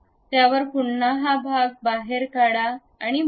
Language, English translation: Marathi, On that, again extrude the portion and fill it